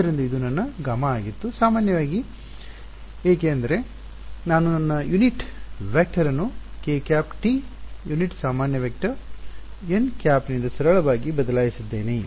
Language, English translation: Kannada, So, this was my gamma normally why because I simply replaced my unit vector k hat by the unit normal vector n hat